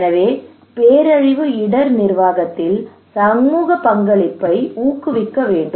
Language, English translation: Tamil, So, therefore, we should promote community participation in disaster risk management